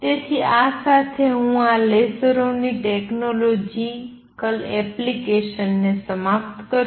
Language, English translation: Gujarati, So, with this I conclude this a technological application of lasers